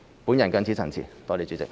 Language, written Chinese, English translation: Cantonese, 我謹此陳辭，多謝代理主席。, I so submit . Thank you Deputy President